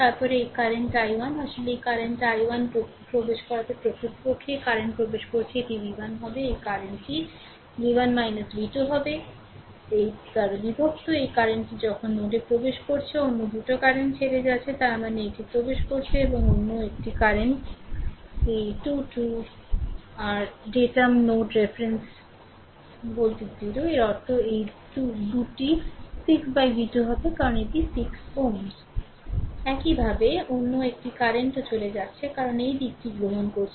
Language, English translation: Bengali, Then this current i 1 actually entering this current i 1 is actually entering this current will be v 1 minus this current will be v 1 minus v 2 ah divided by 8; this current is entering then at node 2 other 2 currents are leaving; that means, this is entering and another current this 2 2 your datum node reference node reference voltage is 0; that means, these 2 will be v 2 by 6 because this is 6 ohm right